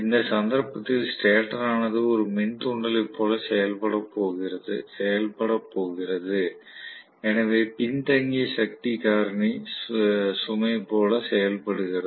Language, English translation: Tamil, So, in which case, the stator is going to behave like an inductor so behaves like a lagging power factor load